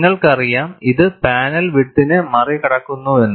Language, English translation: Malayalam, You know, this goes beyond the panel width